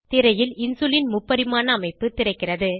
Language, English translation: Tamil, 3D Structure of Insulin opens on screen